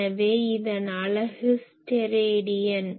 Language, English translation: Tamil, So, unit of this is Stedidian you know